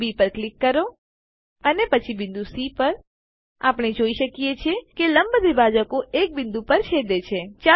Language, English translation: Gujarati, click on the point B and then on point C We see that the perpendicular bisectors intersect at a point